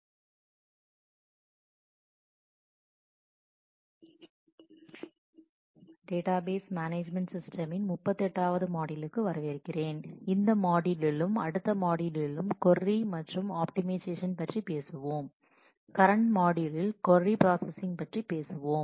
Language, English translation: Tamil, Welcome to module 38 of database management systems, in this module and the next we will talk about query processing and optimization of that in the current module we will talk about query processing